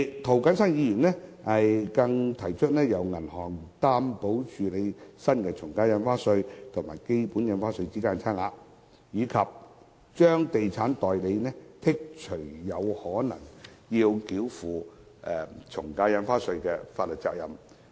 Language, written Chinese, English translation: Cantonese, 涂謹申議員更提出，由銀行擔保及處理新的從價印花稅與基本印花稅之間的差額，以及豁免地產代理繳付從價印花稅的法律責任。, Mr James TO has also proposed to provide for a bank guarantee mechanism so that the difference of stamp duty payable at the new AVD rates and the basic AVD rates could be paid by bank guarantee and that estate agents will not be liable to pay AVD